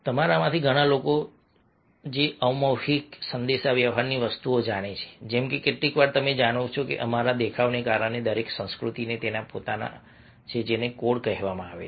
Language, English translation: Gujarati, they're lots of, you know, nonverbal communication, things like sometimes, you know, because of our appearance, each culture has got its owner, what is called codes